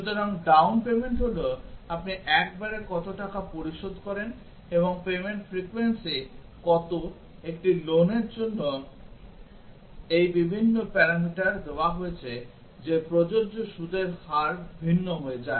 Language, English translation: Bengali, So, down payment is how much you pay at a time and what is the payment frequency, given this various parameters for a loan that what is the interest rate applicable becomes different